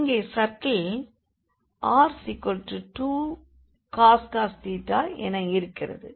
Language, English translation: Tamil, So, here the circle is r is equal to 2 cos theta